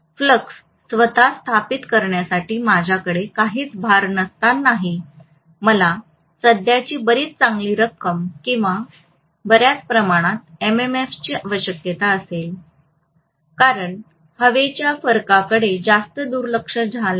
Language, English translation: Marathi, Even when I do not have any load to establish the flux itself I will require quite a good amount of current or quite a good amount of MMF, so because of high reluctance of the air gap right